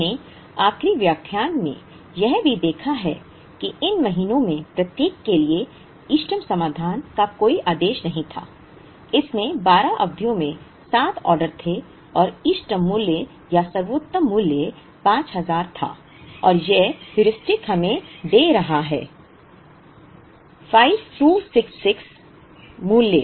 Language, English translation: Hindi, We also saw in the last lecture, that the optimal solution to this did not have an order in each of these months, it had 7 orders in the 12 periods and the optimal value or the best value was 5000 and this Heuristic is giving us a value a 5266